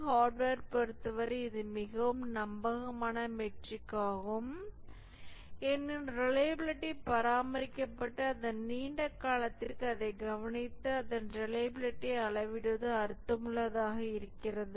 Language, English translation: Tamil, For hardware it is a very reliable metric because the reliability is maintained and it's meaningful to observe it for a long period and measure its reliability